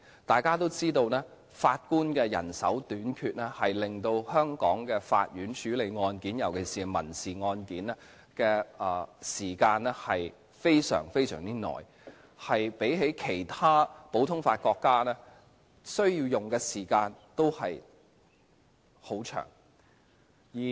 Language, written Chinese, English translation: Cantonese, 大家都知道，法官人手短缺令香港法院處理案件，尤其是民事案件的時間非常長，較其他普通法國家所需的時間更長。, It is well known that as a result of the shortage of Judges the length of time required for the Courts of Hong Kong to deal with cases especially civil cases is extremely long and it is longer than that in other common law countries